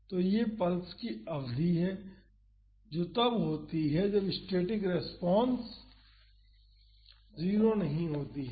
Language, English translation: Hindi, So, this is the duration of the pulse that is when the static response is not 0